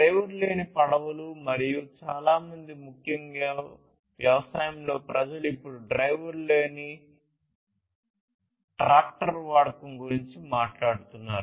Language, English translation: Telugu, And also driver less boats and many other like particularly in agriculture people are now talking about use of driver less, driver less tractors right